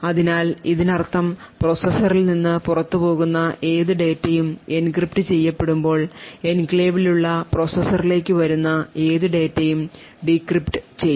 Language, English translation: Malayalam, So what this means is that any data leaving the processor would be encrypted while any data read into the processor which is present in the enclave would be decrypted